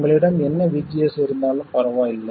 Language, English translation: Tamil, No matter what VGS you have